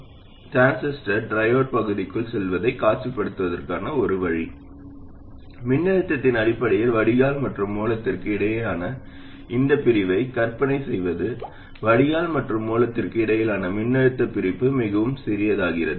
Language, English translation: Tamil, So one way to visualize the transistor going into triode region is to imagine this separation between the drain and source in terms of voltage of course, the voltage separation between drain and source becoming too small